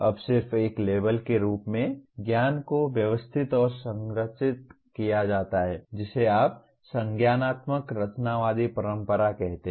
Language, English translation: Hindi, Now just again as a label, knowledge is organized and structured by the learner in line with what you call cognitivist constructivist tradition